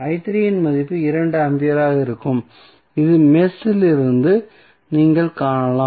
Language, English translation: Tamil, Value of i 3 would be 2 ampere which you can see from this mesh